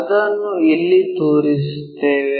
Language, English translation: Kannada, Let us show it somewhere there